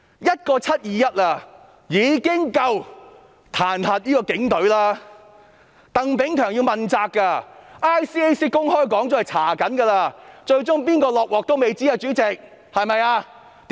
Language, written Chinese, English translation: Cantonese, 一個"七二一"事件已經足以彈劾警隊，鄧炳強要問責 ，ICAC 公開說過正在調查，最終誰要"下鍋"仍然未知，主席，對嗎？, Chris TANG has to assume accountability . The Independent Commission Against Corruption ICAC has stated openly that the case is under investigation . We do not know whose heads will roll eventually President am I right?